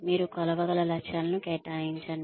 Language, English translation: Telugu, You assign measurable goals